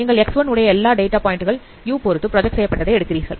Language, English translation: Tamil, So you are taking the projections of all data points in X1 with respect to you